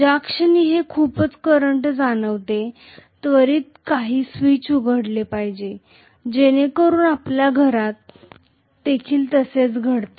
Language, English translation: Marathi, So the moment it senses over current, it should immediately open up some switch, so that is what happens in our homes also